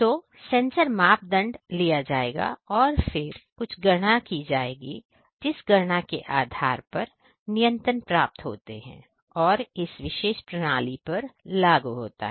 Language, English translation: Hindi, So, the sensor parameters will be taken and then some computation that is that is done and based on the computation getting some control that is also implemented on this particular system